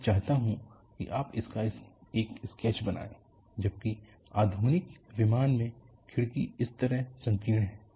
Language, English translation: Hindi, I want you to make a sketch of this,whereas the modern aircraft, the window is narrow like this